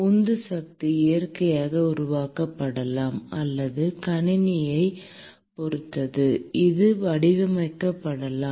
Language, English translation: Tamil, The driving force may be naturally created or it may be engineered depending upon the system